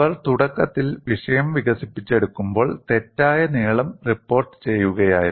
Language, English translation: Malayalam, When they were initially developing the subject, they were reporting wrong lengths of crack lengths